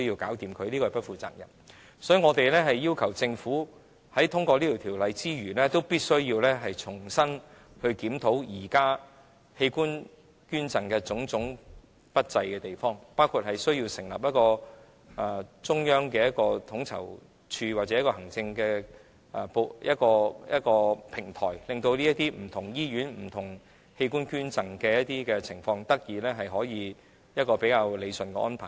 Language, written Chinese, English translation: Cantonese, 所以，我們要求政府在通過《條例草案》之餘，也必須重新檢討現時器官捐贈方面不濟的地方，包括需要成立一個中央統籌處或行政的平台，讓這些不同醫院、不同器官捐贈的情況得以理順。, Therefore our request is that after the Bill is passed the Government must review the undesirable situation of organ donation including setting up a central coordinating office or administrative platform to properly deal with donation of various organs in different hospitals